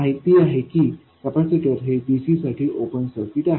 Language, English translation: Marathi, You see that a capacitor is an open circuit for DC